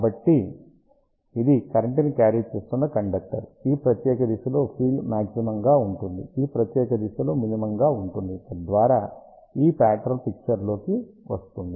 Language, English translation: Telugu, So, this is the current carrying conductor, field will be maximum along this particular direction, minimum along this particular direction, so that is how this pattern comes into picture